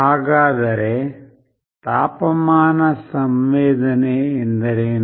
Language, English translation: Kannada, So, what is temperature sensing